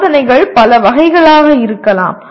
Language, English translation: Tamil, Tests can be many varieties